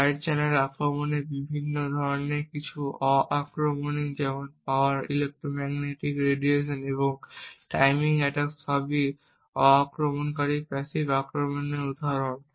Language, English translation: Bengali, There are different types of side channel attacks some are non invasive like the power electromagnetic radiation and the timing attacks are all examples of non invasive passive attacks